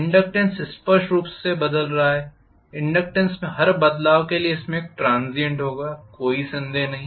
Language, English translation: Hindi, The inductance is changing clearly for every change in inductance there will be a transient, no doubt